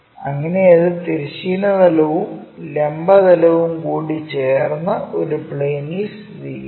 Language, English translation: Malayalam, So, that it becomes in plane with that of both horizontal plane and vertical plane